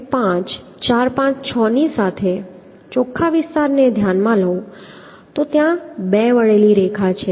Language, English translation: Gujarati, So if I consider the net area along 1 2 4 5 6, so there is two inclined line, so one is this one